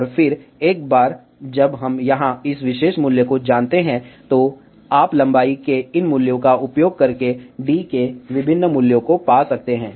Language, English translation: Hindi, And then, once we know this particular value here, you can find the different values of the using these values of length